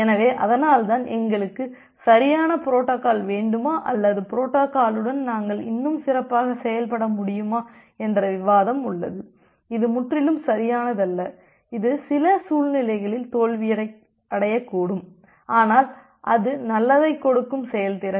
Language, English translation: Tamil, So, that’s why you have this kind of debate on whether we want a correct protocol or whether we still can work good with a compromised, little compromised protocol which is not totally correct, it can fail under certain scenario, but still it will give good performance